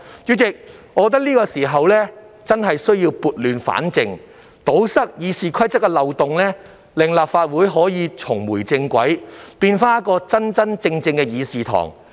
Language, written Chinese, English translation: Cantonese, 主席，我認為現在是時候撥亂反正，堵塞《議事規則》的漏洞，令立法會重回正軌，回復其議事堂真正應有的面貌。, President I think it is time to right the wrongs and plug the loopholes in RoP to enable our legislature to get back on track and look the way it should actually be